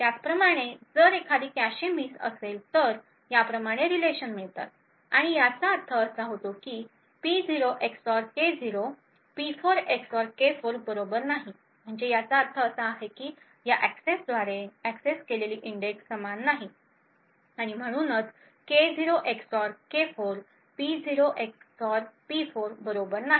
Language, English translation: Marathi, Similarly if there is a cache miss then a relation such as this is obtained and it would mean that P0 XOR K0 is not equal to P4 XOR K4 which means that the index accessed by this in this access and this access are not the same and therefore K0 XOR K4 is not equal to P0 XOR P4